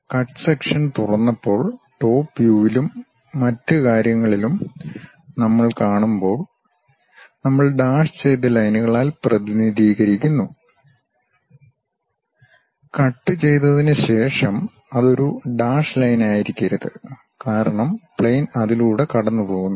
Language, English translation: Malayalam, When you are seeing that though at top view and other things when we did open the cut section, we represent by dashed lines, but after cut it should not be a dashed line because plane is passing through that